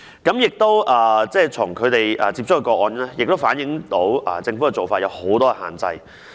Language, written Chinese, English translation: Cantonese, 風雨蘭接觸的個案亦反映出政府的做法有很多限制。, Cases received by RainLily also reflect that the Government has laid down too many restrictions in its procedures